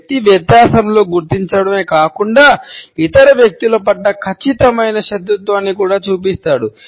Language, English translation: Telugu, The person shows not only a noted in difference, but also a definite hostility to other people